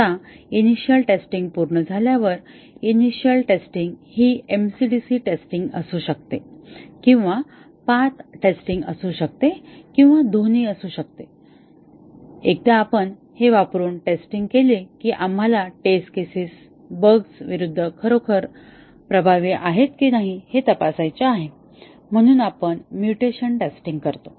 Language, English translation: Marathi, Now, once the initial testing is complete, the initial testing may be mc dc testing or may be path testing or may be both and once we have tested using this, we want to check if the test is really effective against certain type of bugs and we carry out mutation testing